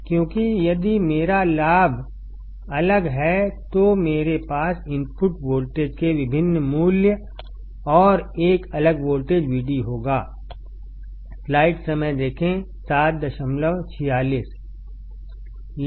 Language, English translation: Hindi, Because, if my gain is different, then I will have different values of input voltage and a different voltage V d